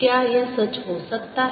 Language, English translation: Hindi, is this true